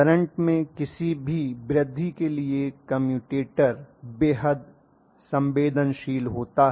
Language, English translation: Hindi, The commutator is extremely sensitive to any increase in the current